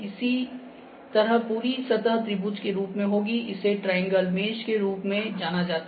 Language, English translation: Hindi, Similarly, the whole surface would be in the form of the triangles, this is known as triangle mesh